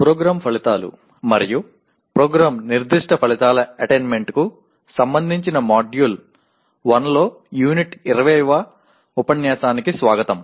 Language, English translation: Telugu, Greetings and welcome to the Module 1 Unit 20 which is related to attainment of Program Outcomes and Program Specific Outcomes